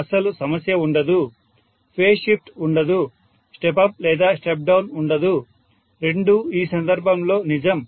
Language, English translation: Telugu, There is no problem at all, no phase shift, no step up or step down, both are true in this case